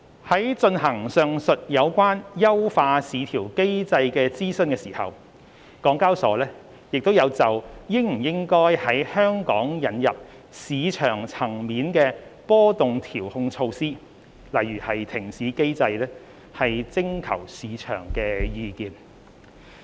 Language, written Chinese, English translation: Cantonese, 在進行上述有關優化市調機制的諮詢時，港交所亦有就應否在香港引入市場層面波動調控措施徵求市場的意見。, In conducting the above mentioned consultation on VCM enhancement HKEx also invited market feedback on whether market - wide volatility control measures should be introduced in Hong Kong